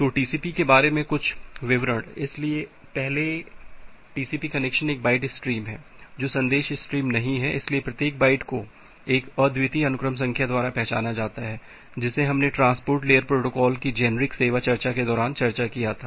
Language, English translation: Hindi, So, few details about TCP; so, first of all TCP connection is a byte stream not a message stream, so, every byte is identified by a unique sequence number, that we discussed during the generic service discussion of a transport layer protocol